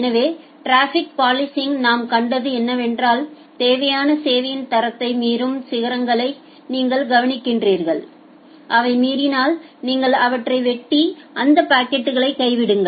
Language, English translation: Tamil, So, what we have seen in case of traffic policing, you just look into the peaks which are violating the required quality of service and if they are violating you simply cut them out and drop those packets